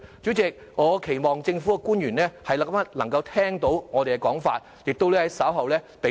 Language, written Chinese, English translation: Cantonese, 主席，我期望政府官員能夠聽到我們的意見，並在稍後給予積極的回應。, President I hope that government officials will hear our opinions and give a positive response later